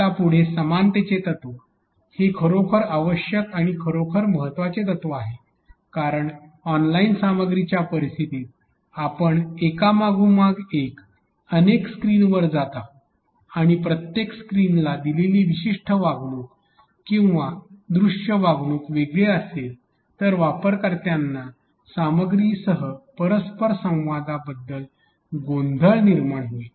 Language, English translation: Marathi, Now, going ahead that is a really needed or really important principle of similarity because in a online content scenario we would be going across multiple screens one after another and if the particular treatment given or visual treatment given to every screen is different then users will be confused about the interaction with the content